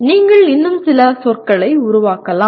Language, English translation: Tamil, You can also coin some more words